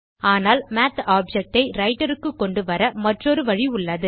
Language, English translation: Tamil, But there is another way to bring up the Math object into the Writer